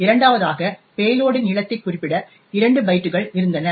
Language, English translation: Tamil, Second, it had 2 bytes to specify the length of the payload